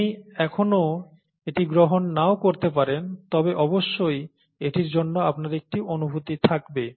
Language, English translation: Bengali, You may not still accept it but you will certainly have a feel for it